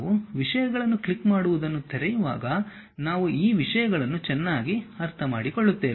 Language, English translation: Kannada, When we are opening clicking the things we will better understand these things